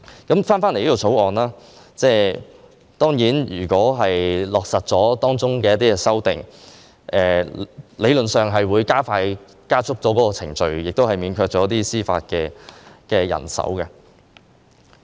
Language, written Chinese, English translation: Cantonese, 就《條例草案》，如果落實當中的一些修訂，理論上會加速處理程序，亦免卻一些司法人手。, As regards this Bill if its certain amendments are implemented theoretically speaking while the processing can be sped up some judicial manpower can also be spared